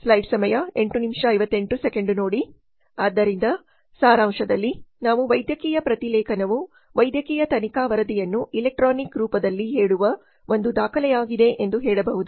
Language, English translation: Kannada, So in summary we can say that medical transcription is a document that states the medical investigation report in electronic form